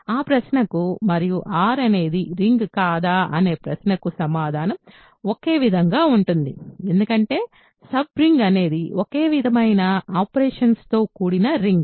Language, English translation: Telugu, The answer to that question and the question whether R is a ring or not is the same because a sub ring is simply a ring with the same operations